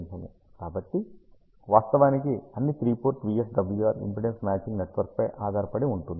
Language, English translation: Telugu, So, all the three port VSWR actually depend on the impedance matching network